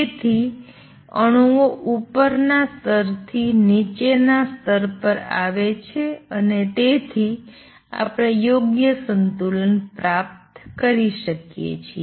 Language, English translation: Gujarati, So, does the number of atoms that come down from the upper level to lower level and therefore, we may achieve properly equilibrium